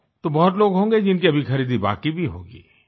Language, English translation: Hindi, So there will be many people, who still have their shopping left